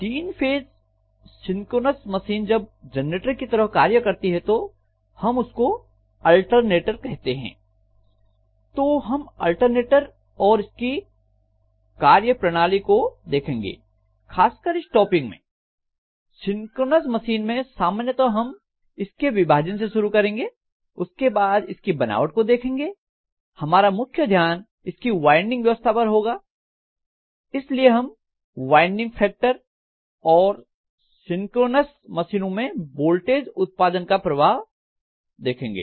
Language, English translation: Hindi, So we call a three phase synchronous machine working as a generator as an alternator so we will be looking at alternator and its working, basically in this particular topic, the synchronous machines generally we will start with classification then we will look at construction after looking at construction here we will be concentrating more on the winding arrangement, so we will talk about something called winding factor and how we influences the voltage generation in a synchronous machine